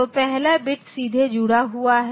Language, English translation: Hindi, So, the first bit is connected directly